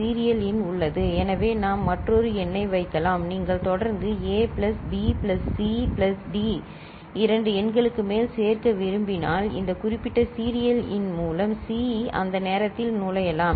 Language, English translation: Tamil, The serial in that is there we can put another number so, if you are looking for consecutive addition of A plus B plus C plus D more than two numbers so, we can make C enter at that time through this particular serial in ok